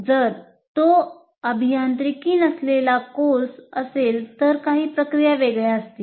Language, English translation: Marathi, If it is a non engineering course, some of these processes will be different